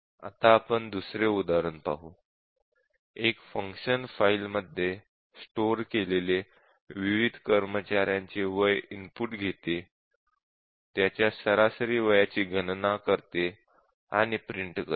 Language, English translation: Marathi, So, this is the function which reads the age of various employees stored in a file and then computes the average age and prints out